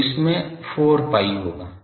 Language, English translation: Hindi, So, 4 pi into this